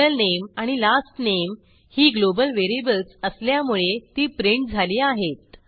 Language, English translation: Marathi, middle name and last name are printed as they are global variables